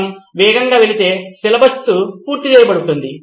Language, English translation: Telugu, If we go fast syllabus is covered